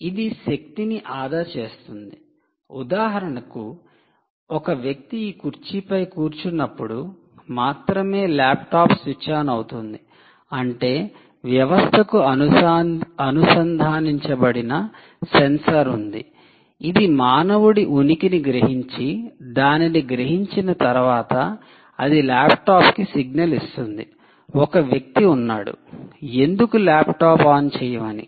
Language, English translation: Telugu, for instance, the laptop switches on only when the person sits on this chair, which means there is a sensor connected to the system which senses the presence of a human, and once it senses that, it gives a signal to the laptop and says: ok, now there is a human, why don't you switch on